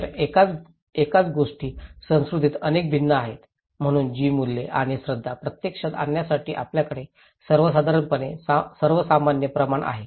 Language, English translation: Marathi, So, how the same thing varies from culture to culture, so in order to put those values and beliefs into practice, we have generally norms